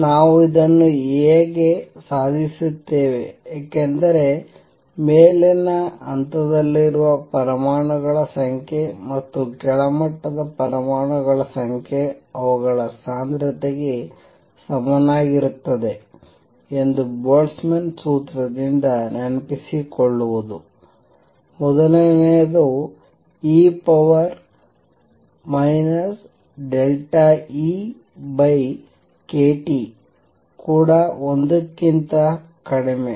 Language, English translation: Kannada, How do we achieve this, because number one remember recall from Boltzmann’s formula that the number of atoms in the upper level and number of atoms in the lower level which will be same as their density also is e raise to minus delta E over k T which is also less than 1